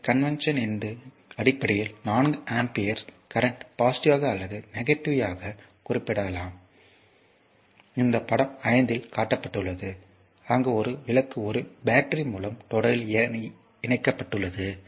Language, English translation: Tamil, So, based on this convention a current of 4 amperes say may be represented your positively or negatively, this is shown in figure 5 where a lamp is connected in series with a battery look how it is